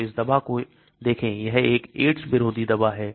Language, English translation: Hindi, So look at this drug, this is an anti AIDS drug